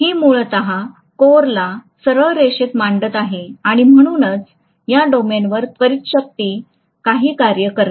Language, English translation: Marathi, That is essentially aligning the core and hence does some work on these domains